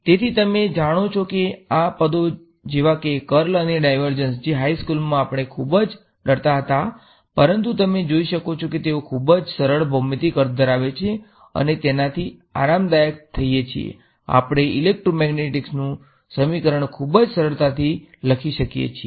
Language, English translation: Gujarati, So, you know these are traditionally terms like the curl and the divergence are terms which in high school we were very afraid of, but you can see that they have very simple geometrical meanings, we get comfortable with it we can write our equation of electromagnetics in it very easily